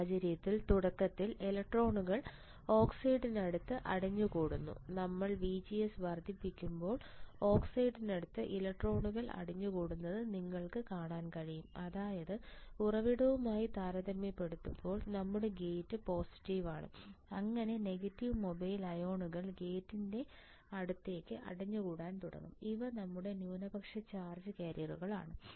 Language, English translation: Malayalam, In this case initially electrons accumulate near the oxide, you can see the electrons accumulating near the oxide right when your VGS is increasing; that means, your gate is more positive than compared to source your electrons that is the negative mobile ions will start accumulating towards the gate these are minority charge carriers these are your minority charge carriers